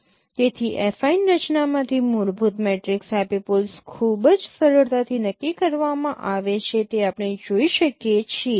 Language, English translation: Gujarati, So, so from the structure of affine affine fundamental matrix epipoles are very easily determined that we can see